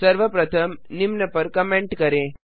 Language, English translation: Hindi, First comment out the following